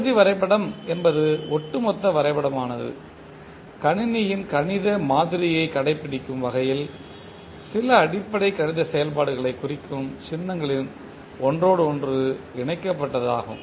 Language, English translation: Tamil, So Block diagram is an interconnection of symbols representing certain basic mathematical operations in such a way that the overall diagram obeys the systems mathematical model